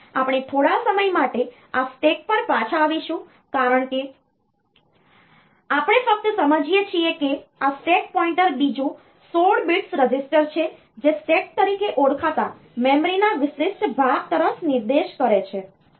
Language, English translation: Gujarati, So, we will come back to this stack later for the time being we just understand that this stack pointer is another 16 bit register, that points to a special portion of memory called stack